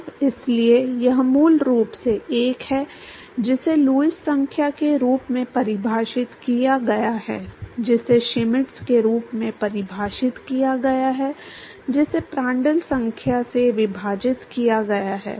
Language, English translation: Hindi, So, so this is basically 1 by so defined as Lewis number is defined as Schmidt divided by Prandtl number